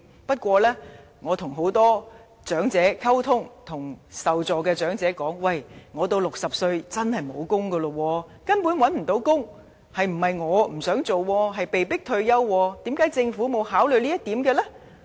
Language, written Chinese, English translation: Cantonese, 不過，我與很多長者溝通，聽到不少受助長者說："我到60歲時，真的沒有工作，因為根本找不到工作，並非我不想工作，我是被迫退休，為甚麼政府沒有考慮這一點呢？, However I have talked to many elderly people and heard many of them say When I reach 60 I truly will not get a job because I really cannot find one not because I am not willing to work . I am forced to retire . Why doesnt the Government consider this?